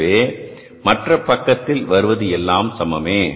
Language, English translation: Tamil, So the other side will remain the same